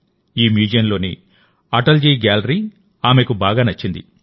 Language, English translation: Telugu, She liked Atal ji's gallery very much in this museum